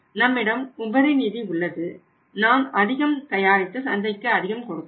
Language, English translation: Tamil, We have surplus funds we can produce more we can manufacturer more and we can serve the other markets also